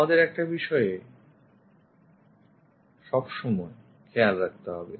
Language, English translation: Bengali, One thing we have to be careful always